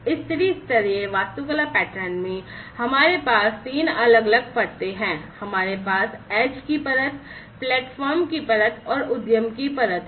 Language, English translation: Hindi, In this three tier architecture pattern, we have three different layers we have the edge layer, the platform layer and the enterprise layer